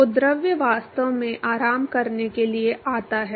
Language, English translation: Hindi, So, the fluid actually comes to rest ok